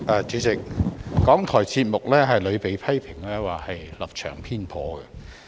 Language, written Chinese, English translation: Cantonese, 主席，港台節目屢被批評為立場偏頗。, President RTHK programmes have frequently been criticized for being biased